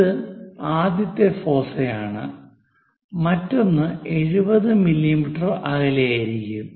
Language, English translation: Malayalam, So, this is one of the foci; the other one is at 70 mm